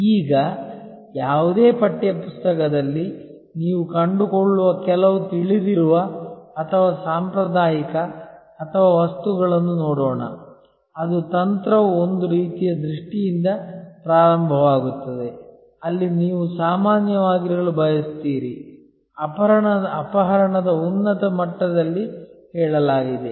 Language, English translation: Kannada, Now, let us look at some known or traditional or items that you will find in any text book that strategy starts with some kind of a vision, where you want to be which is a sort of usually stated at a high level of abduction